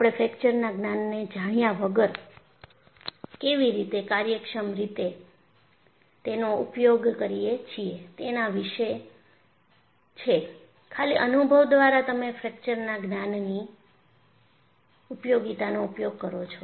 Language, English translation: Gujarati, So, this is about how we efficiently use without knowing the knowledge of fracture; by purely experience, you employ the utility of fracture knowledge